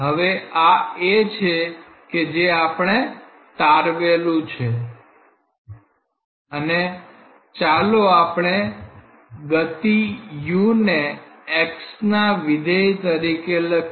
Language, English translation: Gujarati, Now so, this is something that we have already derived and let us write the velocity u as a function of x